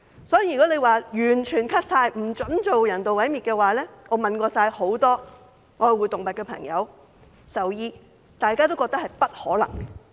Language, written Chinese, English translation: Cantonese, 所以，如果完全削減有關開支，不准進行人道毀滅的話，我問過很多愛護動物的朋友和獸醫，大家也覺得並不可能。, I have asked many animal lovers and veterinarians and they all think that it is impossible to cut the expenditure and forbid euthanasia completely